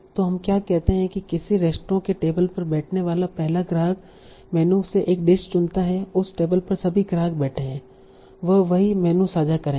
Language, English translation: Hindi, The first customer to sit at a table in a restaurant chooses a dish from the menu and all the customers who are sitting sitting at that table will share the same menu